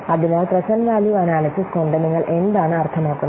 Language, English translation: Malayalam, So, what do you mean by present value analysis